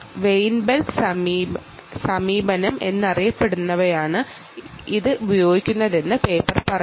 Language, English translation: Malayalam, the paper says it uses what is known as a weinberg approach